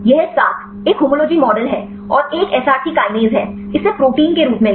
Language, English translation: Hindi, This 7; one is homology model and one is the Src kinase; take this as proteins